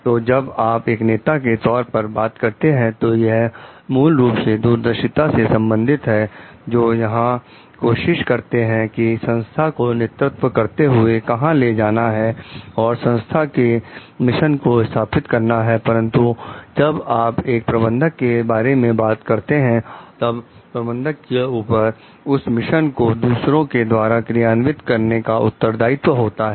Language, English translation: Hindi, So, when you are talking of leader, it is more like a visionary, who tries to see where the organization is going to lead to and who establishes the organizational mission but, when you talking of a manager, there when the managers are responsible for implementing the mission through others